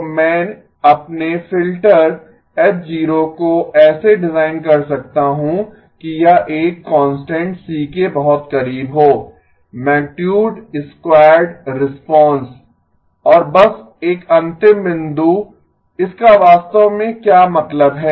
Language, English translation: Hindi, So I can design my filter H0 such that this is very close to a constant C, the magnitude squared response and just a last point, what does that actually mean